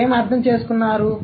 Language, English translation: Telugu, What do you understand